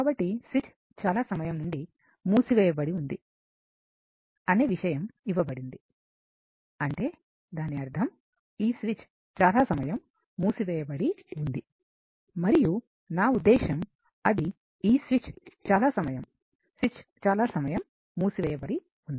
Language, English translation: Telugu, So, it is given that switch has been closed for a long time and that means, this switch was closed for a long time and your I mean it was closed for a; this switch was closed for a long time